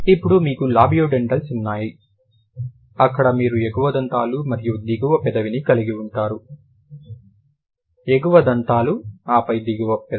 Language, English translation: Telugu, Then you have labiodentals where you have the upper tith and then the lower lip, upper teeth and then the lower lip